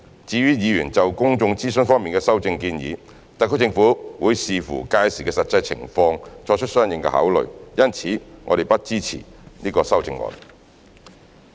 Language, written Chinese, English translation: Cantonese, 至於議員就公眾諮詢方面的修正建議，特區政府會視乎屆時的實際情況作出相應考慮，因此我們不支持這些修正案。, Regarding the proposal of public consultation in the Members amendment the SAR Government will make consideration accordingly in the light of the actual situation at the time . Hence we do not support this amendment